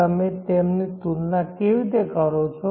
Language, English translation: Gujarati, How do you compare them